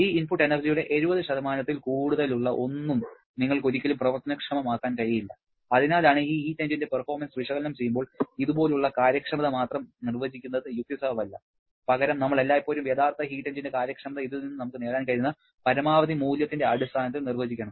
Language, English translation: Malayalam, You can never convert anything more than 70% of this input energy to work and that is why whenever we are analyzing the performance of this heat engine, it is not logical to define efficiency alone like this rather we should always define the efficiency of a real heat engine in terms of the maximum possible value that we can achieve from this and that leads to the concept of a second law efficiency which occasionally can be defined as there are several possible definitions